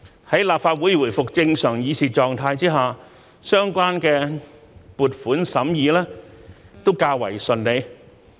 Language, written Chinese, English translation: Cantonese, 在立法會回復正常議事狀態下，相關撥款審議也較為順利。, With the return of the Legislative Council to normal proceedings the scrutiny of the relevant funding proposals has also been relatively smooth